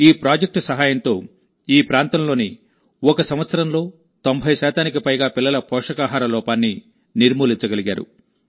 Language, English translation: Telugu, With the help of this project, in this region, in one year, malnutrition has been eradicated in more than 90 percent children